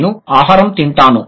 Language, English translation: Telugu, I eat food